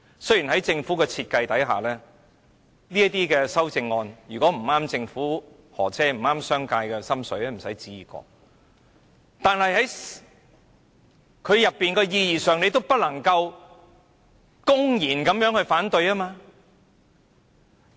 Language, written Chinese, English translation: Cantonese, 雖然在政府的設計下，如果修正案不合政府的心意，不合商界的心意便休想可以通過，但是，局長也不能公然反對代議政制的意義。, Though under the procedures designed by the Government any amendments opposed by the Government or the business sector will definitely not be passed the Secretary still cannot blatantly defy the representative system . The duty of the Legislative Council ie